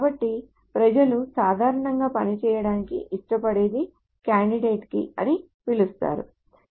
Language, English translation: Telugu, So what people generally tend to work with is what is called a candidate key